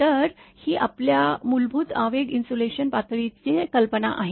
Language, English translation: Marathi, So, this is your idea of basic your impulse insulation level